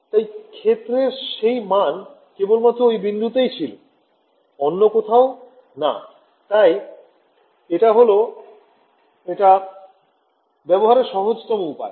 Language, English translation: Bengali, So, the value of the field at that point only not anywhere else right, this is the simplest way to implement it